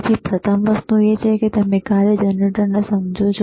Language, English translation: Gujarati, So, first thing is, you understand the function generator, very good